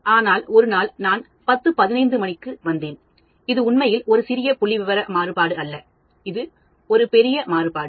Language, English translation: Tamil, But then one day I came at 10:15, which is not really a small statistical variation, it is a large variation